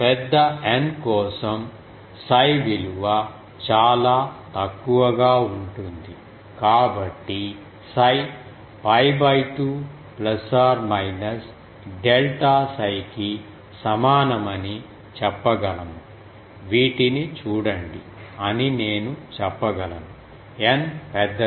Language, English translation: Telugu, For N large cos psi value will be very small so we can say that psi is equal to pi by 2 plus minus delta psi, can I say these see that; N large